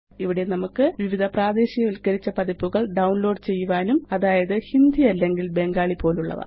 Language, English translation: Malayalam, Here, we can download various localized versions, such as Hindi or Bengali